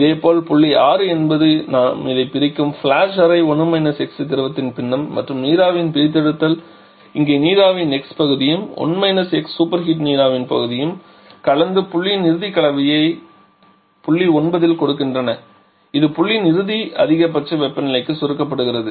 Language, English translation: Tamil, Similarly the point 6 is the flushed chamber where we are separating this 1 – x fraction of liquid and extraction of vapour this extraction of vapour and 1 – x fraction of superheated vapour they are mixing and giving this final mixture a point at state point 9 which is getting compressed to final maximum temperature of point 4